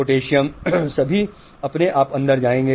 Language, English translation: Hindi, Potassium will all go in automatically